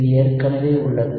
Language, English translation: Tamil, And this we have already